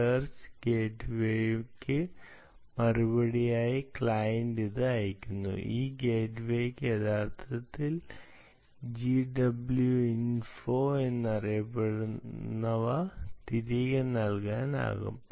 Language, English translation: Malayalam, ok, client is ah sending it out for, in response to search gateway, this gateway can actually issue back what is known as a gw info